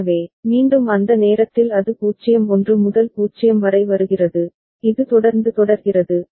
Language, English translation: Tamil, So, again at that time it is coming from 0 1 to 0 and this is the way it continues ok